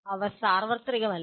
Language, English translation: Malayalam, They are not universal